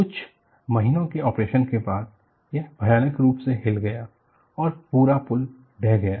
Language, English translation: Hindi, After a few months of operation, it violently vibrated and the whole bridge collapsed